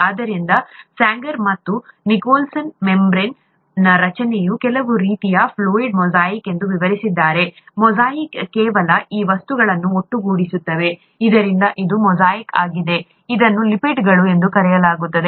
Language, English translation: Kannada, So Sanger and Nicholson described the structure of a cell membrane as some kind of a ‘fluid mosaic’; mosaic is just these things put in together, so this is a mosaic of, what are called ‘lipids’